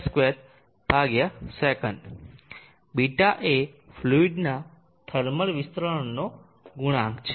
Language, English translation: Gujarati, 8 1m2/s ß is the coefficient of thermal expansion of the fluid